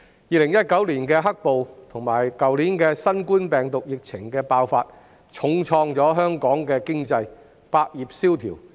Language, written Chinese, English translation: Cantonese, 2019年的"黑暴"及去年新冠病毒疫情爆發，重創香港的經濟，百業蕭條。, The black - clad violence in 2019 and the COVID - 19 outbreak last year have dealt a heavy blow to Hong Kongs economy and many industries have languished consequently